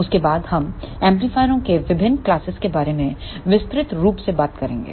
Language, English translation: Hindi, Next we will talk about the various classes of power amplifiers